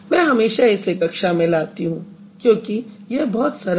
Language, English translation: Hindi, I always bring this one to the class because it is very simple